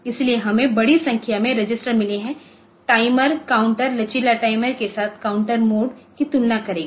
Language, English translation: Hindi, So, large number of registers we have got timer counters with flexible timer counter will compare modes